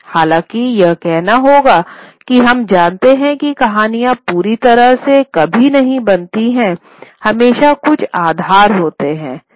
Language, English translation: Hindi, However, one must say that we know that stories are never created completely original